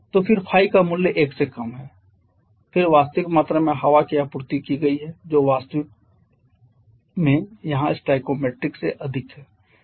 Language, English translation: Hindi, So, then Phi is less than 1 then the actual quantity of air that has been supplied that is actually more than stoichiometric here